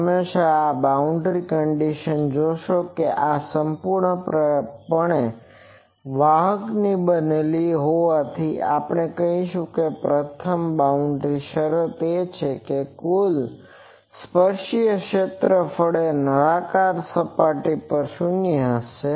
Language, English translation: Gujarati, You see always these boundary conditions that one is since this is made of perfect conductors, so we will say the first boundary condition is total tangential electric field will be 0 on cylindrical surface sorry cylindrical surface